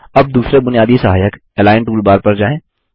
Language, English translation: Hindi, Let us move on to the next basic aid Align toolbar